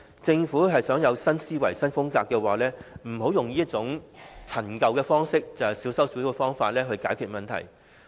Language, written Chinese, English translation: Cantonese, 政府想有新思維、新風格的話，便不要用這種陳舊的方式，小修小補的方法去解決問題。, If the Government wants to have new thinking and a new style it ought to get rid of such an obsolete approach that solves problems by patchy fixes